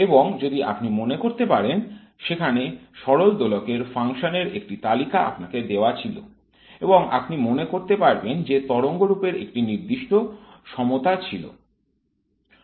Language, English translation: Bengali, And if you recall, there was a table of the harmonic oscillator functions which was given to you and you might recall that the way functions have a specific parity